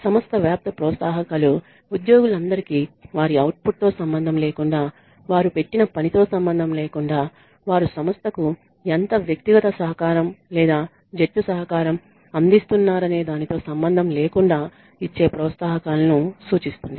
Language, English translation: Telugu, Organization wide incentives refer to the incentives that are given to all the employees irrespective of their output, irrespective of the work they put in, irrespective of how much individual contribution or team contribution they are making to the organization